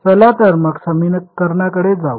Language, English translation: Marathi, So, let us go back to our equation